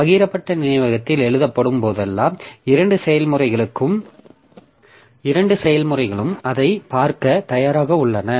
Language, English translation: Tamil, So it is assumed that whenever it is written onto the shared memory, so both the processes are ready to see it